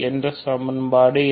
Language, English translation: Tamil, What is the other equation